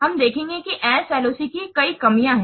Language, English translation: Hindi, We will see there are several drawbacks of SLOC